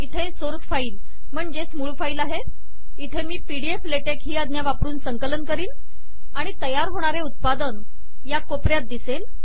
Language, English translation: Marathi, I have the source file here, I will do the compilation here using pdflatex command, and the resulting output will be seen here in this corner